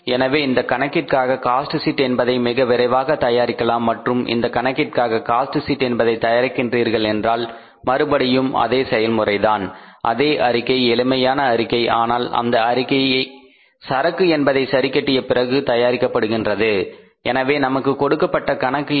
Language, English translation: Tamil, So now quickly let us prepare the cost sheet for this problem and if you prepare the cost sheet for this problem then again the same process same statement simple statement but after treating the stocks right after treating the stocks here